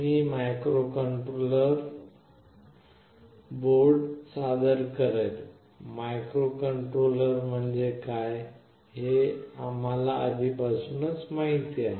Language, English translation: Marathi, I will introduce microcontroller boards, we already know what a microcontroller is